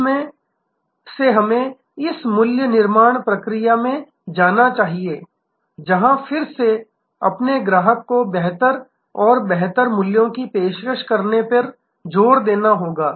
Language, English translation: Hindi, In that from there we must go to this value creation process, where again emphasis has to be on offering better and better values to your customer